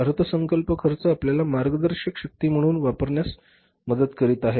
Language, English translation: Marathi, Budgeting cost is helping us to serve as a guiding force